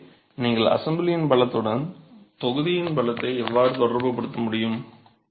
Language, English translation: Tamil, So this is how you would be able to relate the constituent strength to the strength of the assembly itself